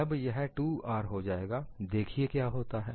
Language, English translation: Hindi, When it becomes 2R, let us see what happens